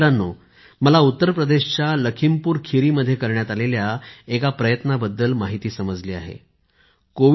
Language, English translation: Marathi, Friends, I have also come to know about an attempt made in LakhimpurKheri in Uttar Pradesh